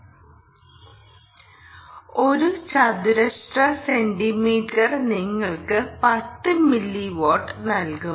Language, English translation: Malayalam, centimeter should give you ten milliwatt